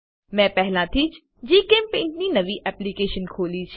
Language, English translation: Gujarati, I have already opened a new GChemPaint application